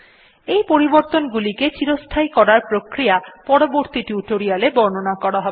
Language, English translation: Bengali, The way by which we can make these modifications permanent will be covered in some advanced tutorial